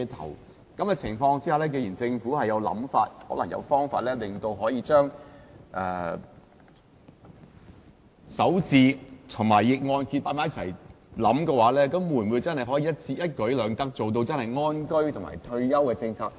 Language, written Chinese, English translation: Cantonese, 在這種情況下，既然政府有想法，可能有方法令強積金首置安排及逆按揭計劃合併起來，會否真的可以一舉兩得，做到安居及退休的政策？, That being the case and since the Government is now considering the idea of introducing the MPF first home purchase arrangement will it also explore the implementation of this arrangement and RMP in parallel so as to see if it is really possible to achieve both home purchase and retirement protection all at the same time?